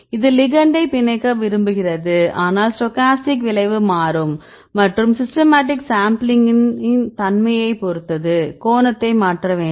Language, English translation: Tamil, So, this is the one the ligand prefers to bind, but the case of stochastic, outcome will change and the systematic will depend on the granularity of sampling right what is the angle you do you require to change right